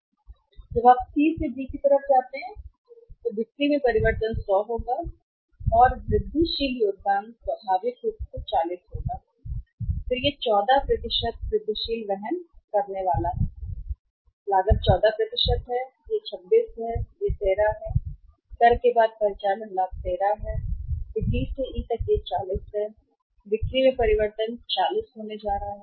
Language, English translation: Hindi, Then you go from C to D when you go from C to D so change in the sales will be 100 and incremental contribution will be naturally 40 and then it is going to be 14% incremental carrying cost is 14% this is 26 and this is 13, operating profit after tax is 13